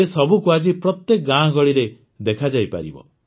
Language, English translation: Odia, Today they can be seen in every village and locality